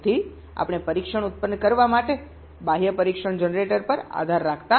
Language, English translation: Gujarati, ok, so we are not relying on an external test generator to generator